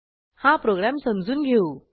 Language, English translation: Marathi, Let us go through the program